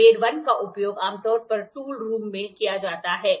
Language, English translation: Hindi, Grade 1 is generally used in the tool room